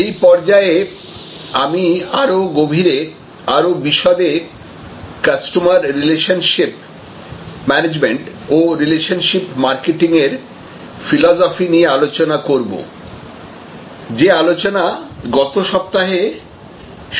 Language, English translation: Bengali, At this stage, I want to get into a deeper discussion, a more extensive discussion on customer relationship management and the philosophy of relationship marketing, which I had started discussion, discussing last week